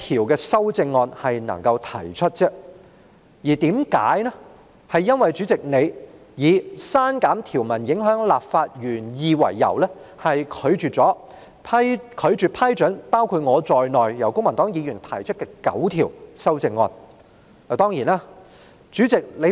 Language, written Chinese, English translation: Cantonese, 今次公民黨只能提出一項修正案，原因是主席以刪減條文會影響立法原意為由，拒絕批准由公民黨議員——包括我在內——提出的9項修正案。, Now the Civic Party can only propose one amendment as the President has ruled that the nine amendments proposed by Members of the Civic Party including me are inadmissible on the ground that deleting the provisions would compromise the legislative intent